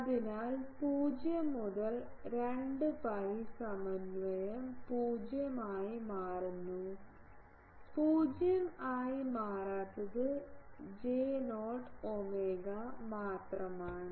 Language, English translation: Malayalam, So, everything from 0 to 2 pi integration that becomes 0; only the thing is who does not become 0 is J0 omega